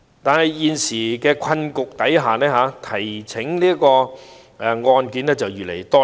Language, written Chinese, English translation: Cantonese, 但在現時的困局下，提呈案件越來越多。, However given the current predicament the number of cases is increasing